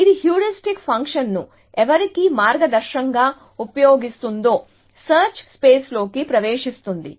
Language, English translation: Telugu, So, it is diving into the search space, using the heuristic function as a guiding whose